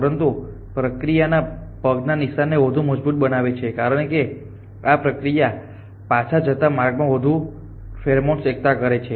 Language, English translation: Gujarati, But in the process if as tendency the trail it as deposited more pheromone on the way back